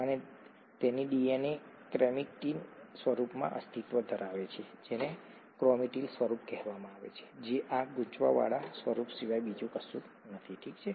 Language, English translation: Gujarati, And, so DNA exists in what is called a chromatin form which is nothing but this coiled form, okay